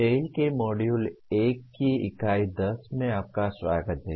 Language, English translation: Hindi, Welcome to the Unit 10 of Module 1 of TALE